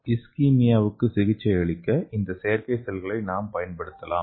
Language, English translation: Tamil, So here we can use this artificial cells for Ischemia okay